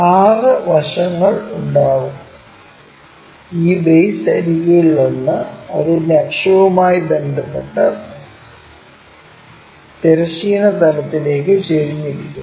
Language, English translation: Malayalam, 6 sides will be there, and one of these base edges with its axis also inclined to horizontal plane